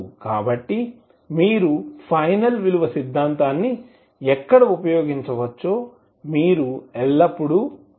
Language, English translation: Telugu, So you have to always keep in mind where you can apply the final value theorem where you cannot use the final value theorem